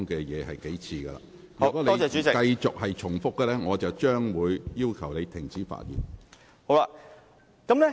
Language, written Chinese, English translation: Cantonese, 如果你繼續重複論點，我會要求你停止發言。, If you continue to repeat your argument I will ask you to stop speaking